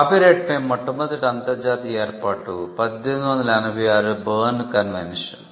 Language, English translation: Telugu, The first international arrangement on copyright was the Berne Convention in 1886